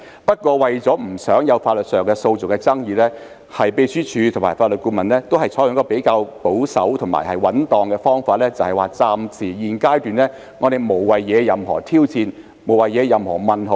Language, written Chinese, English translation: Cantonese, 不過，為免在法律上有訴訟的爭議，秘書處和法律顧問均採取比較保守和穩當的方法，認為在現階段暫時無謂惹起任何挑戰或疑問。, However to avoid legal disputes the Secretariat and the Legal Adviser have adopted a relatively conservative and prudent approach considering it unnecessary to arouse any challenge or query at the present stage